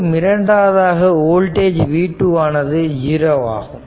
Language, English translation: Tamil, So, now, and total voltage there is v